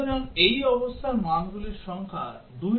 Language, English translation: Bengali, So, the number of values for this condition is 2 into n